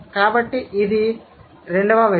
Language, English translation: Telugu, So, that's the second thing